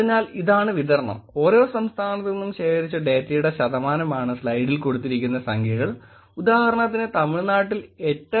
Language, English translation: Malayalam, So, this is the distribution, the number in the slide represents the percentage of data that was collected from that state, for example, Tamil Nadu has 8